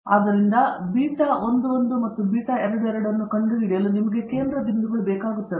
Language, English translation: Kannada, So, to find the beta 11 and beta 22, you require center points